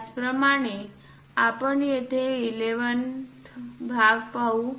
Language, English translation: Marathi, Similarly, let us pick 11th part here